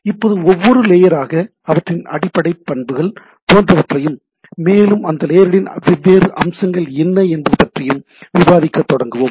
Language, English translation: Tamil, Now, we will start discussing layer by layer and their basic properties etcetera, and what are the different features of those layers